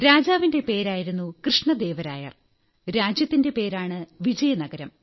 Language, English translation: Malayalam, The name of the king was Krishna Deva Rai and the name of the kingdom was Vijayanagar